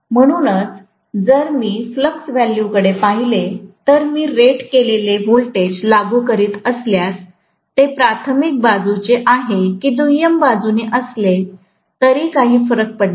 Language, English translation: Marathi, So, if I look at the flux value, if I am applying rated voltage, whether it is from the primary side or secondary side, it does not matter